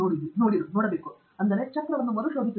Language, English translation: Kannada, Prof Arun Tangirala: Not reinvent the wheel